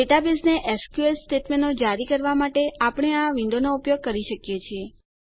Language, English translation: Gujarati, We can use this window, to issue SQL statements to the database